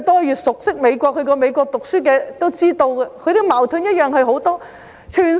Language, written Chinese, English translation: Cantonese, 越熟悉美國及曾在美國唸書的人也知道他們的矛盾同樣很多。, All those who are very familiar with the United States and who have studied there know that there are just as many conflicts